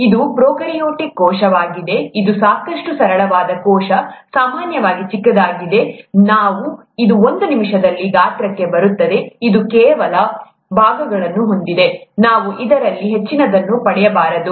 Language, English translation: Kannada, This is a prokaryotic cell, a simple enough cell here, typically small, we’ll come to sizes in a minute, it has some parts, let’s not get too much into it